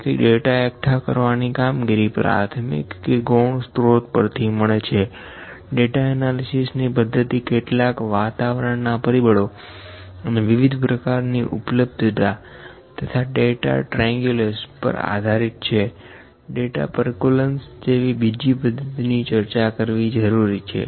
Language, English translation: Gujarati, So, gathering data can be accomplished through a primary source or the secondary source, data analysis methodologies can vary depending upon different kinds of availability environment and maybe data triangulation, data percolation are the few methods and we actually we need to discuss all this